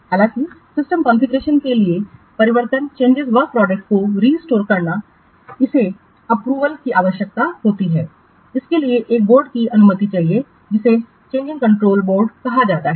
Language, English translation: Hindi, However, restoring the change work product to the system configuration, it requires approval, it requires permission of a board called as change control board